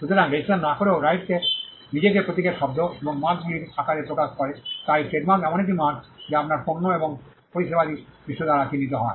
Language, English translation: Bengali, So, without even without registration the right is express itself in the form of a symbol’s words and marks so, that trademark is something it is a mark by which your products and services are identified by the world